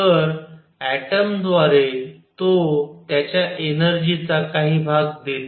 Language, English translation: Marathi, So, it is given part of his energy through the atom